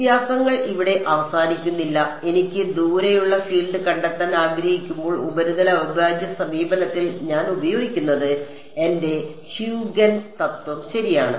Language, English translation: Malayalam, The differences do not end here, when I want to find out the field far away I use in the surface integral approach this is called my Huygens principle right